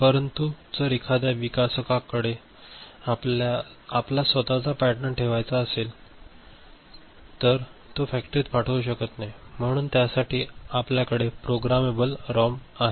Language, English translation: Marathi, But, if a developer wants to put his own pattern he cannot send it to the factory or so for which we have what is called Programmable ROM ok